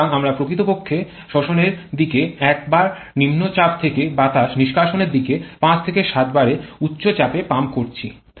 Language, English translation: Bengali, So, we are actually pumping air from low pressure of 1 bar at the suction side to higher pressure of 5 to 7 bar on the exhaust side